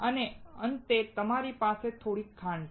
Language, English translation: Gujarati, And finally, we have some sugar